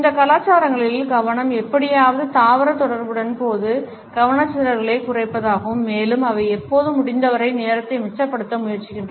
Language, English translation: Tamil, The focus in these cultures is somehow to reduce distractions during plant interactions and they always try to save time as much as possible